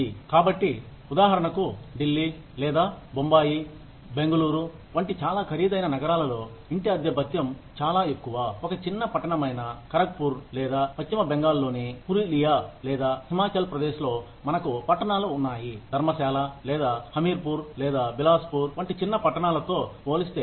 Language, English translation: Telugu, So, for example, the house rent allowance, in a very expensive city, like Delhi, or Bombay, Bangalore, would be much higher than, the house rent allowance for a small town, like Kharagpur, or maybe Purulia in West Bengal, or, in Himachal Pradesh we have towns like, Dharamshala, or Hameerpur, or Bilaspur, or, I mean, some such place